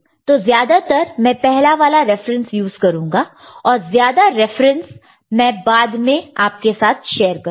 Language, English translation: Hindi, So, mostly I shall be using the first reference and more references I shall share later